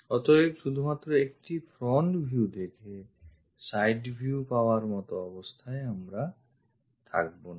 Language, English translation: Bengali, So, just looking at one front view side view, we will not be in a position to get